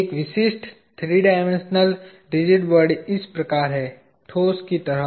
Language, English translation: Hindi, A typical three dimensional rigid body is like this; like solid like